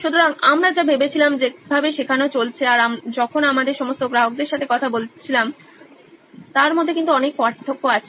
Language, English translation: Bengali, So, a lot of difference between the way we thought learning was going on when we actually went and talked to all our customers